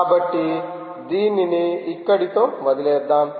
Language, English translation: Telugu, so lets leave it there all right